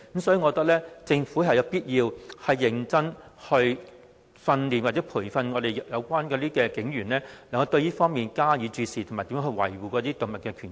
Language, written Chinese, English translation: Cantonese, 所以，我覺得政府有必要認真培訓警員對虐待動物加以注視，並學習如何維護動物權益。, Hence I opine that the Government needs to train police officers to attach importance to animal cruelty cases and learn how to safeguard animal rights